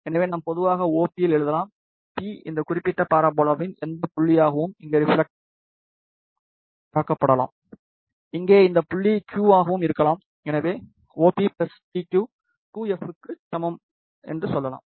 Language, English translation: Tamil, So, we can write in general OP, P can be any point on this particular parabola and reflected over here, can be any point Q over here, so we can say OP plus PQ is equal to 2f